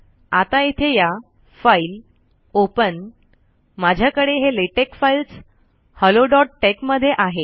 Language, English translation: Marathi, Okay go here, File, Open, I have it in latex files, hello dot tex